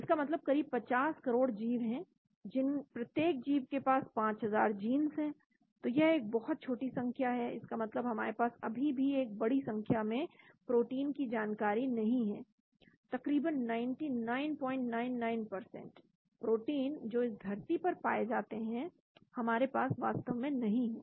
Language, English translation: Hindi, That means there are about 5 million organisms each organism has 5000 genes, so that is a very small number that means we do not have information about large number of proteins, almost 99